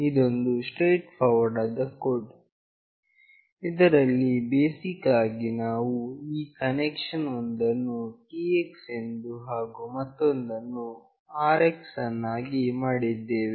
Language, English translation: Kannada, This is a straightforward code, where basically we have made this connection making one TX and another RX